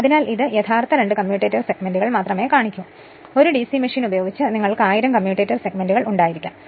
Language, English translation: Malayalam, So, this is actually show only two commutator segments and DC machine you can 1000 commutator segment